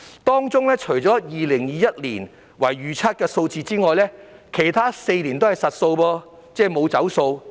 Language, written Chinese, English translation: Cantonese, 當中除2021年為預測數字外，其他4年均為實數。, These are all actual figures except for 2021 which is a projected figure